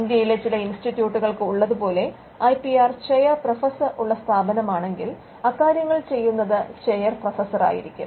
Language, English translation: Malayalam, The IPM cell may itself do it and in institutes where an IPR chair professor is there, which is there for some institutes in India, then it is done by the chair professor